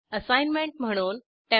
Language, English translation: Marathi, As an assignment 1